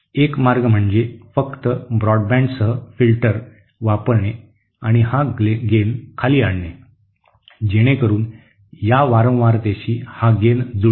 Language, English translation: Marathi, One way is to simply use the filter with a very broadband and bring this gain down, so that it matches with the gain of this one at this frequency